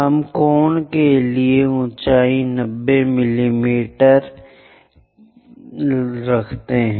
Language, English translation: Hindi, We have to locate 90 mm as height for the cone, 90 mm